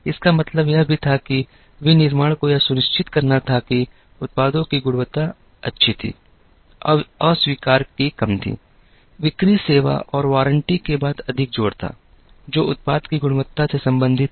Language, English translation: Hindi, This also meant that, manufacturing had to ensure that, the quality of the products was good, there was less of rejects, there was emphasis more on after sale service and warranties, which are related to the quality of the product